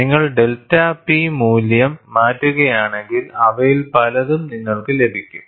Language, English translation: Malayalam, you can get many of them, if you change the delta P value